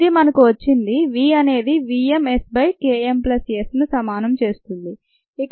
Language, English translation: Telugu, so this is v equals v m s by k s plus s